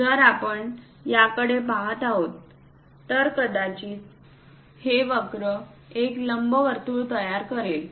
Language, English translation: Marathi, If we are looking at this, perhaps this curve forms an ellipse